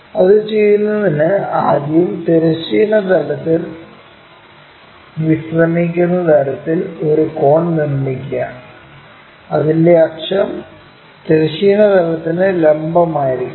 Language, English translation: Malayalam, To do that first of all make a cone resting on horizontal plane, so that it axis is perpendicular to horizontal plane